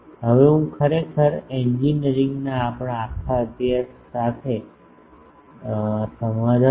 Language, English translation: Gujarati, I now that compromises actually our whole study of engineering